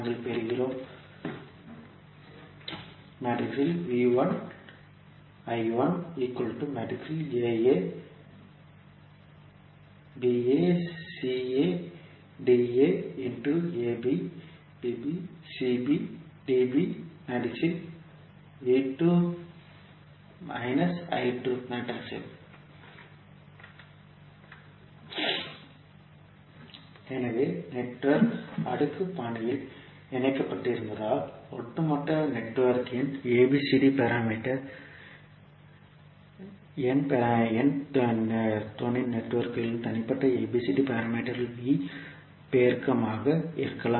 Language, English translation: Tamil, So, that means that if the network is connected in cascaded fashion, the ABCD parameter of overall network can be V multiplication of individual ABCD parameters of the sub networks